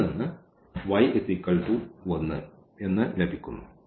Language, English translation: Malayalam, So, when x is 0 the y is 2